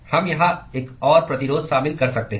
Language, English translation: Hindi, We could include another resistance here